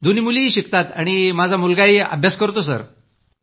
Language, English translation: Marathi, Both daughters as well as the son are studying Sir